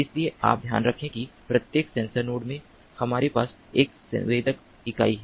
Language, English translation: Hindi, every sensor node has a sensing unit